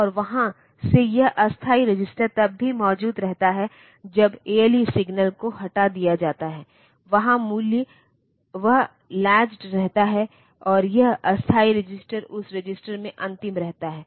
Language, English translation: Hindi, And from there the it can the temporary register even when the ALE signal is taken off the value remain latched there, and this temporary register it remain last in that register